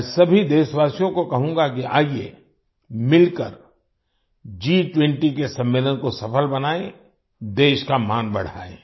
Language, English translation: Hindi, I urge all countrymen to come together to make the G20 summit successful and bring glory to the country